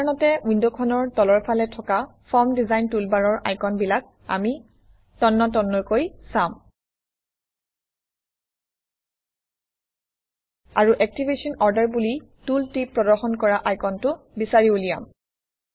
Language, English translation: Assamese, In the Form Design toolbar, usually found at the bottom of the window, we will browse through the icons And find the icon with the tooltip that says Activation order